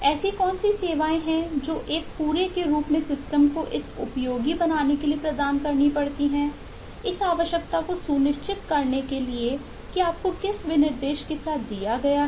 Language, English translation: Hindi, what are the services that the system as a whole has to provide for making this useful, for making this confirm to the requirement specification that you have been given with and in this process